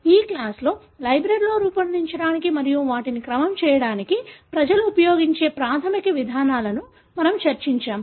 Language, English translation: Telugu, For this class, we have discussed the basic approaches that people use to generate libraries and then to sequence them